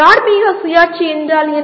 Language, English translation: Tamil, What is moral autonomy